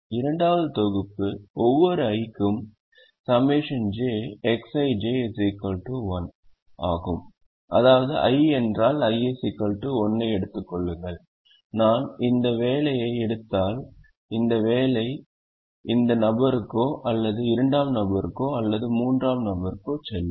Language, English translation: Tamil, second set of constraint is summed over j, x, i, j equal to one for every i, which means if i take, i equal to one, if i take this job and this job will will go to either this person or this person or this person